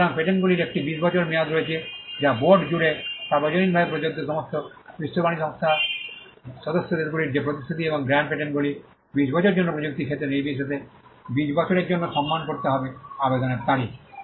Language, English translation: Bengali, So, this is 1 explanation, so patents have a 20 year term which is universally applicable across the board all the WTO member countries have to honor that commitment and grand patents for 20 years regardless of the field of technology it is twenty years from the date of application